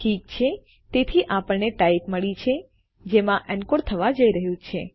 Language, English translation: Gujarati, Okay so weve got the type this is going to be encoded to